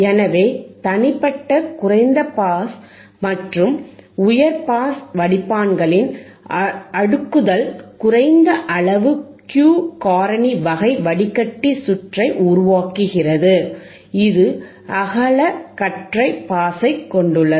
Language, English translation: Tamil, This cascading together of individual low pass and high pass filter produces a low Q vector factor, type filter circuit which has a wide band pass band which has a wide pass band, right